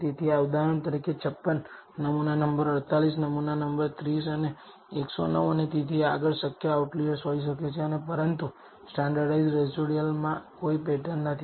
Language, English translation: Gujarati, So, for example, 56, sample number 48, sample number 30 and 109 and so on so forth may be possible outliers and, but there is no pattern in the standardized residuals